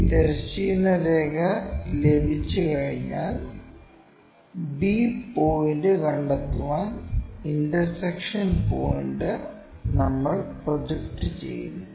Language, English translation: Malayalam, Once, we have that horizontal line the intersection point we project it to locate this b point